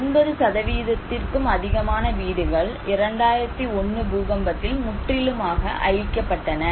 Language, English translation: Tamil, More than 80% of the houses were totally damaged by 2001 earthquake